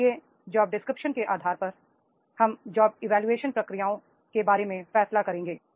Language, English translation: Hindi, So whatever the job description comes on basis of the job descriptions, we will decide about the job evaluation processes